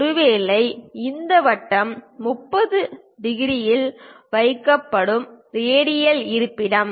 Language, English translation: Tamil, Perhaps this circle the radial location that is placed at 30 degrees